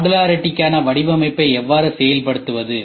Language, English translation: Tamil, How do we execute design for modularity